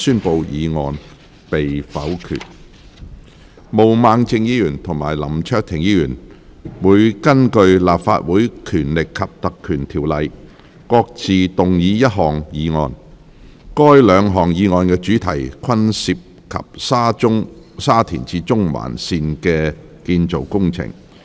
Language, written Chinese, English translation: Cantonese, 毛孟靜議員及林卓廷議員會根據《立法會條例》各自動議一項議案，該兩項議案的主題均涉及沙田至中環線的建造工程。, Ms Claudia MO and Mr LAM Cheuk - ting will each move a motion under the Legislative Council Ordinance and the subject matter of the two motions is concerned with the construction works of the Shatin to Central Link